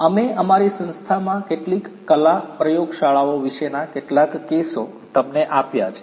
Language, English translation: Gujarati, We have also given you some of the cases about some state of the art laboratories in our institute